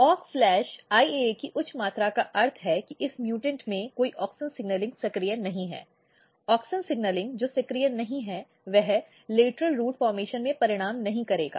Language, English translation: Hindi, High amount of Aux IAA means in this mutant there is no auxin signalling activated; no auxin signalling activated results in no lateral root formation